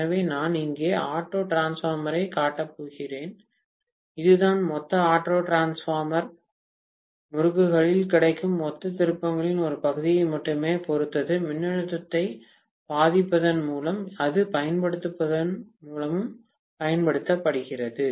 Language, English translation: Tamil, So, I am going to show the auto transformer here and this is applied by only influencing or applying the voltage with respect to only a fraction of the total turns available in the total auto transformer winding